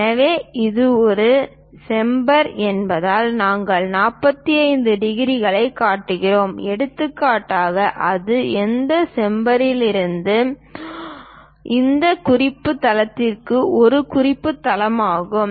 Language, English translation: Tamil, So, because it is a chamfer, we are showing 45 degrees for example, and that is from that chamfer to this reference base, this is the reference base